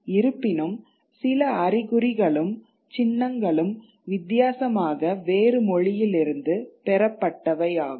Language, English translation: Tamil, Though there are a few signs and symbols which are different, which are differently derived